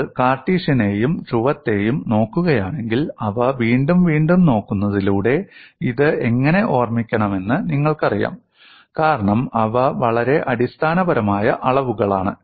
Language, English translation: Malayalam, If you look at Cartesian and polar by looking at them again and again, you will know how to remember this, because they are very, very fundamental quantities